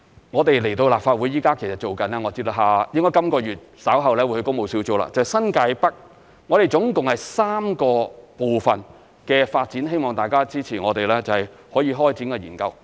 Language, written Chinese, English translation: Cantonese, 我們會就新界北發展到立法會，我知道本月稍後會去工務小組，就是新界北合共3個部分的發展，希望大家支持我們可以開展研究。, As far as I know we will consult the Legislative Council Public Works Subcommittee on the development of NTN later this month to discuss the three NDAs in NTN . I hope that Members will support our proposal to carry out the relevant study